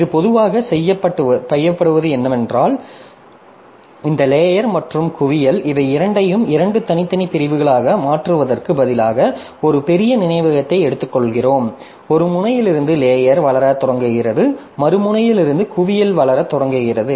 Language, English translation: Tamil, So, this normally what is done is that the stack and hip, so these two instead of making them two separate segments, so we take a big chunk of memory and from one end the stack starts to grow and from the other end the hip starts to grow